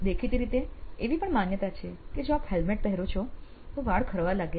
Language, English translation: Gujarati, Apparently, also, there is a perception that if you wear a helmet it leads to hair loss